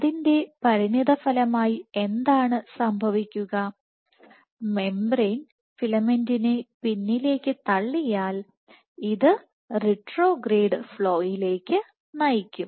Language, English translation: Malayalam, So, as a consequence, and what will happen if the membrane pushes the filament back; then this should lead to retrograde flow